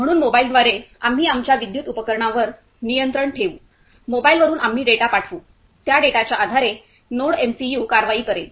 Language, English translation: Marathi, So, through mobile we will control our electrical appliances, from mobile we will send the data, based on that data, NodeMCU will take the action